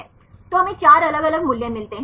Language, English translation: Hindi, So, we get 4 different values